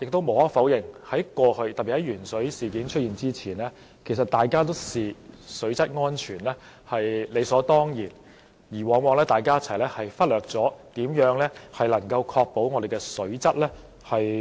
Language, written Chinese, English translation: Cantonese, 無可否認，在過去，特別是鉛水事件發生前，我們都視水質安全為理所當然，於是往往忽略如何確保水質安全。, Undeniably in the past especially before the occurrence of the lead - in - water incident we took water safety for granted and often neglected how to ensure water safety